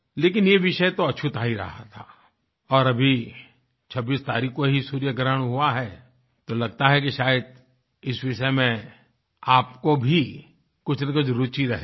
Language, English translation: Hindi, But this topic has never been broached, and since the solar eclipse occurred on the 26th of this month, possibly you might also be interested in this topic